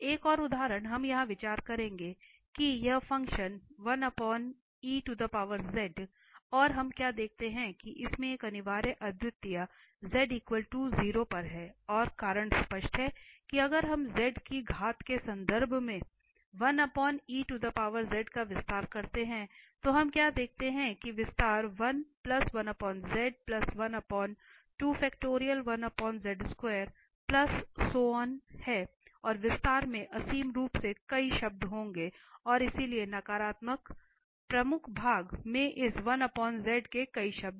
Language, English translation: Hindi, Another example we will consider here, that this function e power 1 over z and what we observe that this has a essential a singularity at z equal to 0 and the reason is clear that this exponential 1 over z if we expand in terms of z in terms of powers of z, so what we observe that the expansion has 1 plus 1 over z, 1 over z square, 1 over z cube and there will be infinitely many terms in the expansion and so the negative, the principal part has infinitely many terms of this 1 over z